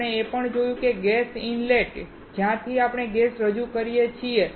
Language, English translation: Gujarati, We also found that the gas inlet from where we can introduce the gas